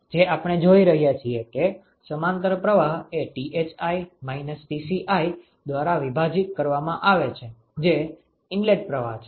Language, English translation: Gujarati, So, that is why it is a parallel flow we are looking at parallel flow divided by Thi minus Tci that is the inlet stream ok